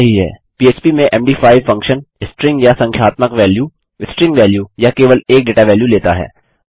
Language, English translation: Hindi, Md5s function in php takes a string or numerical value, string value or just a data value